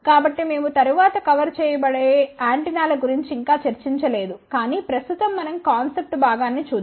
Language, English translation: Telugu, So, we have not discussed about antennas yet which we are going to cover later on, but ah right now let us just look at the concept part